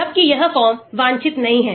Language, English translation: Hindi, Whereas, this form is not desired